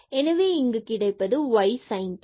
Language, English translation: Tamil, So, we will get here minus sin t